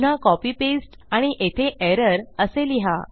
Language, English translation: Marathi, Again copy paste and change that to error